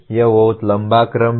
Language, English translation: Hindi, This is a very tall order